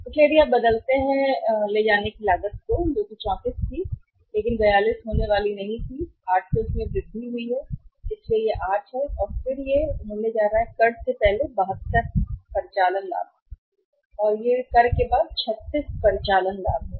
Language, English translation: Hindi, So, if you change that see the carrying cost carrying cost was 34 but not going to be 42 going to increase by 8, so this is 8 and then it is going to be how much 72 operating profit before tax is 72 and then it is 36 operating profit after tax